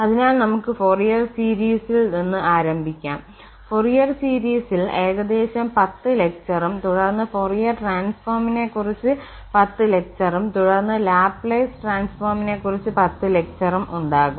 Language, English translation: Malayalam, So, we will start with the Fourier series there will be about 10 lectures on Fourier series and followed by the 10 lectures on Fourier transform and then about 10 lectures again on Laplace transform